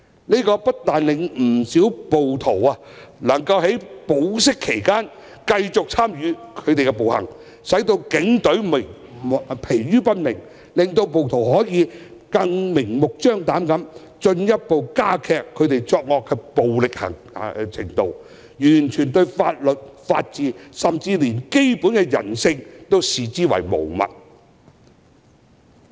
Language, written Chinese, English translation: Cantonese, 這不但令不少暴徒能夠在保釋期間繼續參與暴行，使警隊疲於奔命；更令他們可以明目張膽地進一步加劇作惡的暴力程度，完全將法律、法治，甚至連基本的人性均視之為無物。, It not only enables many rioters to continue their engagement in violent acts while out on bail thus keeping the Police on the run and exhausting them but also makes them blatantly escalate the violence in committing evil acts while turning a complete blind eye to law the rule of law and even basic humanity